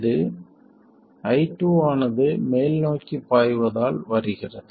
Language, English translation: Tamil, This comes about because I2 is flowing in the upward direction